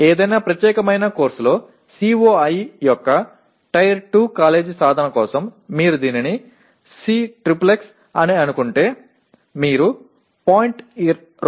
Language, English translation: Telugu, For Tier 2 college attainment of COi in any particular course you just call it Cxxx you compute 0